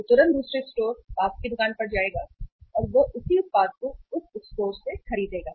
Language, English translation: Hindi, He will immediately go to the another store, nearby store and he will buy the same product from that store